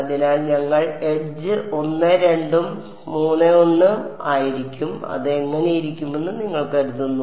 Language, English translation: Malayalam, So, we will edge is 1 2 and 3 1 what do you think it looks like